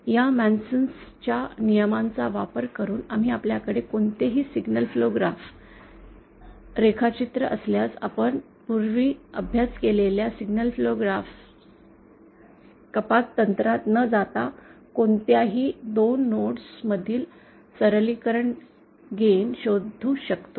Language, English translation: Marathi, Using this MasonÕs rule, we can, if we have any given signal flow graphs diagram, we can find out the simplified gain between any 2 nodes without going into those signal flow graph reduction techniques that we have studied earlier